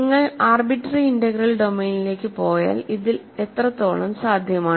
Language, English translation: Malayalam, So, if you go to an arbitrary integral domain how much of this is possible